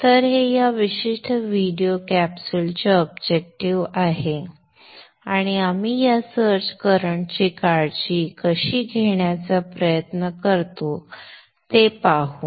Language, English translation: Marathi, So that is the objective of this particular video capsule and we shall see how we try to take care of this search current